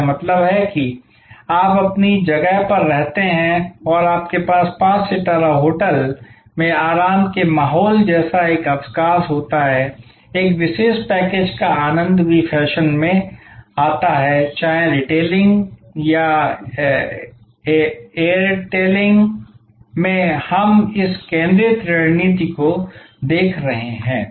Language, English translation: Hindi, That means, you stay at your own place and you have a vacation like relaxing environment in a five star hotel enjoying a special package also in fashion whether in retailing or etailing we are seeing this focused strategy coming up